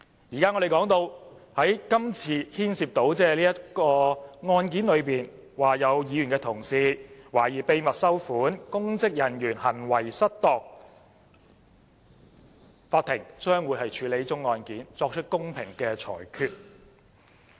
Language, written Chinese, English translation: Cantonese, 如今，這宗案件關乎有議員同事懷疑秘密收款，公職人員行為失當；法庭將會處理這宗案件，作出公平的裁決。, The present case of misconduct in public office relates to an alleged receipt of secret payment by a Member . The Court will handle this case and give a fair judgment